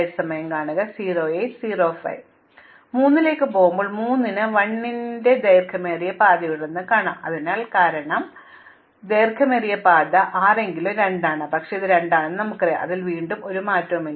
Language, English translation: Malayalam, Now, when we go to 3, 3 says it has a longest path of 1, so therefore because of 3 the longest path of 6 at least 2, but we already know it is 2, so again there is no change